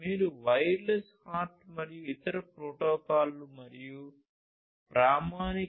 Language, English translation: Telugu, If you want to know further about wireless HART and the other protocols and the standard 802